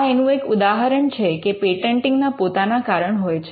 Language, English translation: Gujarati, So, so just to show that patenting has it is own reasons